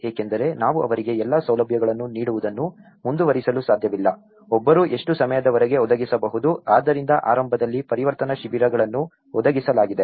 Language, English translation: Kannada, Because, we cannot keep providing them all the facilities, for how long one can provide, so that is where the transition camps have been provided initially